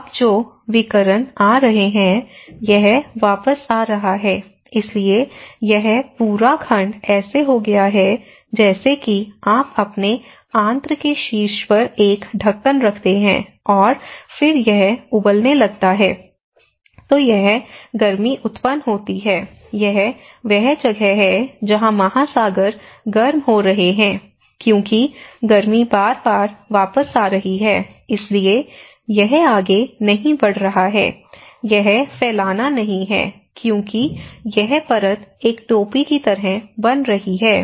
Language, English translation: Hindi, So, now what is happening is; we are; the radiations are coming, and then these are not passing out, it is coming back so, this whole segment so it is become like you kept a lid on the top of your bowel and then it started boiling then it is the heat is generated so, this is where the oceans are getting warmer, okay because the heat is coming back again and again so, it is not going further, it is not diffusing because this the layer is making like a cap